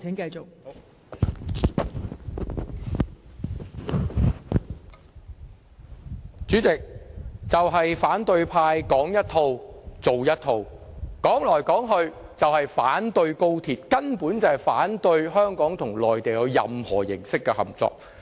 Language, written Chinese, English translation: Cantonese, 代理主席，反對派"說一套，做一套"，說到底就是反對高鐵，反對香港與內地有任何形式的合作。, Deputy Chairman opposition Members are saying one thing and doing another . After all they want to oppose XRL and any form of cooperation with the Mainland